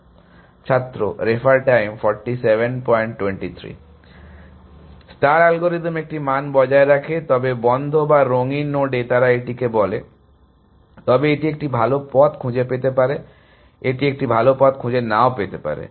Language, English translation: Bengali, star algorithm maintains a value, but in the closed or in the colored node as they call it, but it may find a better path, no it may not find a better path